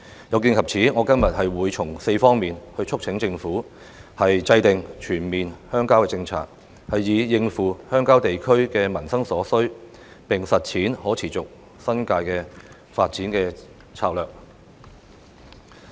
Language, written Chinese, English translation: Cantonese, 有見及此，我今天會從4方面促請政府制訂全面鄉郊政策，以應付鄉郊地區的民生所需，並實踐可持續的新界發展策略。, In view of this I urge the Government to formulate a comprehensive set of rural development policies on four aspects so as to meet the livelihood needs in rural areas and implement a sustainable development strategy for the New Territories